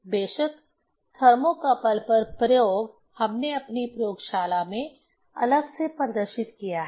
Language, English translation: Hindi, Of course, the experiment on thermocouple we have demonstrated separately of in our laboratory